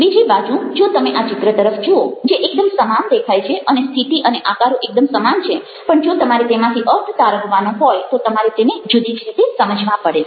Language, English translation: Gujarati, on the other hand, if you looking at this image, which looks very similar the position, the shapes are very similar, but if you are to make sense of it, you have to understand it in a different senses